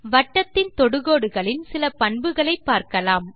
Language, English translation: Tamil, lets explore some of the properties of these Tangents to the circle